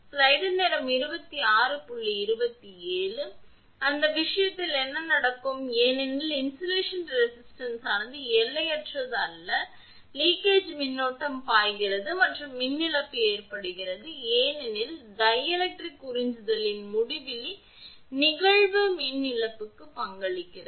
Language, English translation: Tamil, So, in that case what will happen, since the resistivity of the insulation is not infinite, leakage current flows and a power loss occurs because insulation resistivity is not infinity